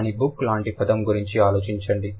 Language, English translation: Telugu, But think about a word like book